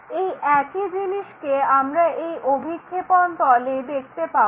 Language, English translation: Bengali, So, same thing what we can observe it on this projection plane